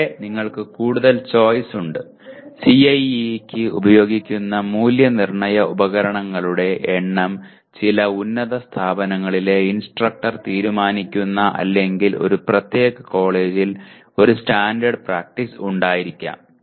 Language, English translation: Malayalam, And here you have further choice, the number of Assessment Instruments used for CIE is decided by the instructor in some higher end institutions or there may be a standard practice followed in a particular college